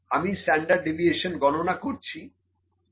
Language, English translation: Bengali, I calculate the standard deviation, it is 0